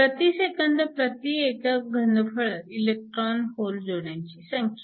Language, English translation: Marathi, We need to calculate the number of electron hole pairs per second